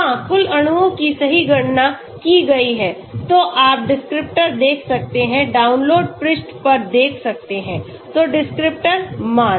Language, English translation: Hindi, Yeah so total molecules correctly calculated, you can see descriptors, see to the download page, so descriptors value